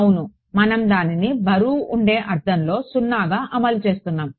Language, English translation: Telugu, Yeah we are enforcing it to be 0 in a weighted sense